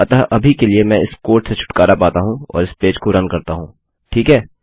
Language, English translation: Hindi, So Ill get rid of this code for now and run this page, okay